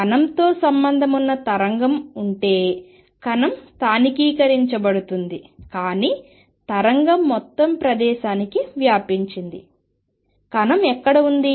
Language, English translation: Telugu, If there is a wave associated with a particle, particle is localized, but the wave is spread all over the place, where is the particle